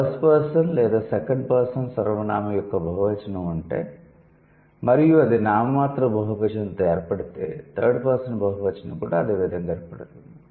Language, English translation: Telugu, And 17 generation says if there is a plural of first or second person pronoun is formed with a nominal plural, then the plural of third person is also going to be formed in the same way